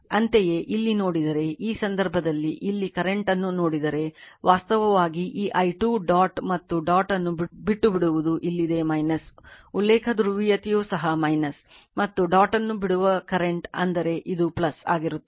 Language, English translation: Kannada, Similarly, similarly if you see here, in this case if you see here current actually this i 2 leaving the dot and dot is here in this minus also the reference polarity is also minus and current leaving the dot; that means, this will be plus right